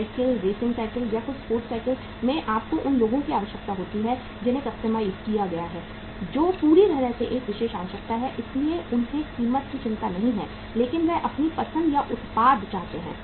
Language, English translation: Hindi, In cycles, racing cycles or some sports cycles you have the say requirement of the people which is customized, which is totally a special requirement so they do not worry about the price but they want the product of their choice